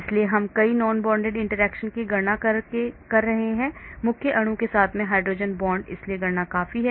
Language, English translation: Hindi, So we are calculating so many non bonded interactions, hydrogen bonds with the main molecule so calculations are quite a lot